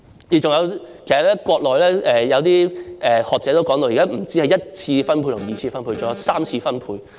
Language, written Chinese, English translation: Cantonese, 其實，國內有些學者已提到現時不單只有一次分配及二次分配，還有三次分配。, In fact some scholars in the Mainland have already said that there are not only the primary and secondary distributions but also tertiary distribution